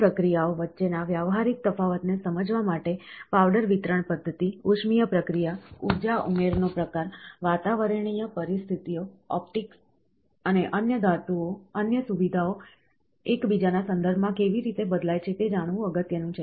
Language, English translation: Gujarati, To understand the practical difference between these processes, it is important to know how the powder delivery method, heating process, energy input type, atmospheric conditions, optics and other features vary with respect to one another